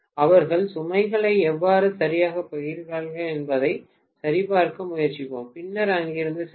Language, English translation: Tamil, Let us try to check how exactly they are sharing the load and then go from there